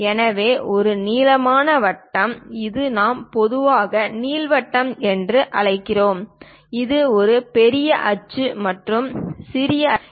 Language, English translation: Tamil, This is elongated circle which we usually call ellipse, having major axis and minor axis